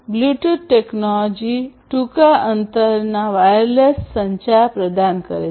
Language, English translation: Gujarati, So, we have this Bluetooth technology which offers wireless communication in short range